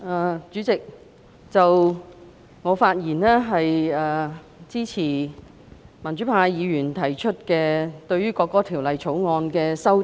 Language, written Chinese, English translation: Cantonese, 代理主席，我發言支持民主派議員對《國歌條例草案》提出的修正案。, Deputy Chairman I speak in support of the amendments proposed by the pro - democracy Members to the National Anthem Bill the Bill